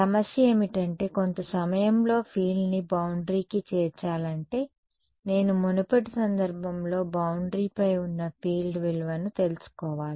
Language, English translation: Telugu, The problem is that in order to get the field on the boundary at some time instance I need to know the value of the field on the boundary at a previous instance